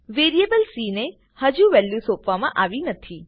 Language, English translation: Gujarati, The variable c has not yet been assigned that value